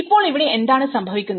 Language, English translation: Malayalam, Now, what happens here